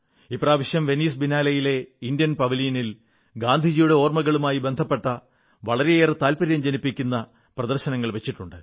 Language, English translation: Malayalam, This time, in the India Pavilion at the Venice Biennale', a very interesting exhibition based on memories of Gandhiji was organized